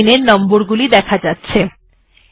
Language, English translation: Bengali, So you can see that line numbers have come